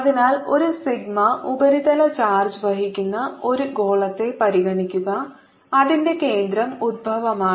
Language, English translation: Malayalam, so consider a sphere, it carries a surface charge into sigma over its surface